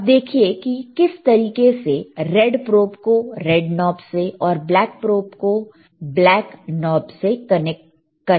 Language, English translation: Hindi, Again, sSee how he is connecting red probe red one to red and black one to black, red to red black to black